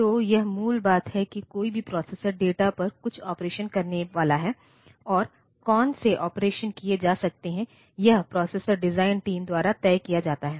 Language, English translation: Hindi, So, this is the basic thing like any processor that is designed is supposed to do some operation on the data and what are the operations that can be done, this is decided by the processor design team